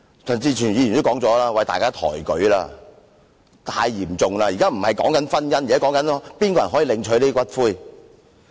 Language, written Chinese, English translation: Cantonese, 正如陳志全議員說，大家抬舉了，這說法太嚴重了，現不是討論婚姻制度，而是誰可領取骨灰。, As Mr CHAN Chi - chuen said Members have overstated the severity of the matter . We are not discussing the marriage institution but the entitlement to claiming ashes